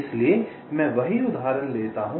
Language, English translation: Hindi, so the same example i take